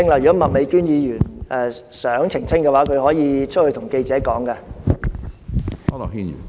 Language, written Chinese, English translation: Cantonese, 如果麥美娟議員想澄清，她可以到外面跟記者說。, If Ms Alice MAK wants to clarify this she may speak to reporters outside the Chamber